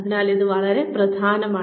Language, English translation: Malayalam, So, this is important